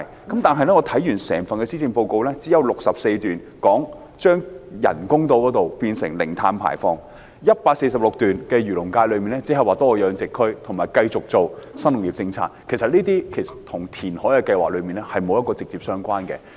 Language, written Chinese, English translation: Cantonese, 但是，我看完整份施政報告，只有第64段提及將人工島發展成為零碳排放社區、第146段提出為漁農界多設一個海魚養殖區，以及繼續推行新農業政策，這些與填海計劃並沒有直接關係。, However I have read the entire Policy Address . Only paragraph 64 mentions the development of artificial islands as carbon - neutral zones whereas paragraph 146 proposes the designation of additional fish culture zones for the agriculture and fisheries industry as well as continued implementation of the new agriculture policy . These are not directly related to the reclamation project